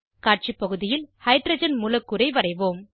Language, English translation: Tamil, Let us draw Hydrogen molecule on the Display area